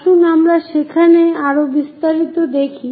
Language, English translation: Bengali, Let us look at more details there